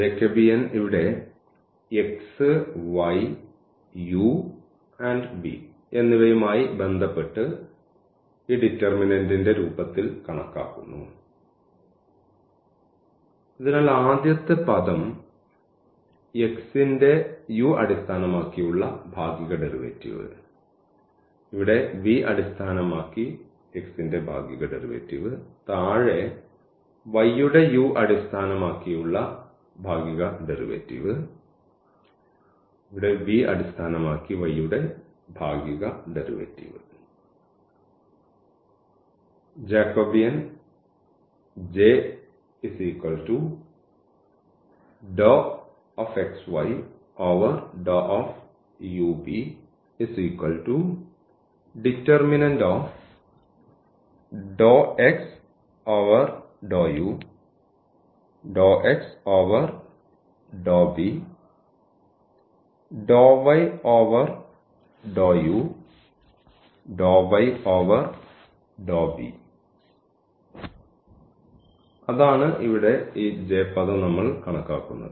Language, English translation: Malayalam, So, Jacobian here x y with respect to this u and v which is computed as in the form of this determinant; so the partial derivative of this x with respect to u the first term, here the partial derivative of x with respect to v, now for the y with respect to u and this partial derivative y with respect to v